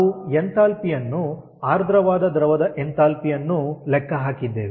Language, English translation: Kannada, so we have calculated the enthalpy, which is the enthalpy of the saturated liquid